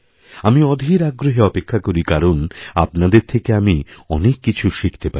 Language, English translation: Bengali, I always look forward with anticipation, because I find so much to learn from all that you share